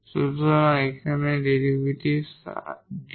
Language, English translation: Bengali, So, this is the derivative here dI over dx